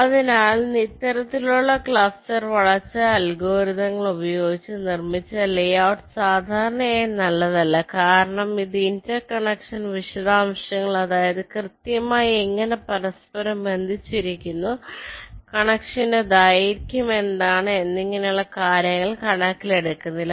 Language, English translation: Malayalam, ok, so layout produced using this kind of cluster go algorithms are not typically not good because it does not ah directly take into account the inter connection details, exactly how they are inter connected and what is the connection length and so on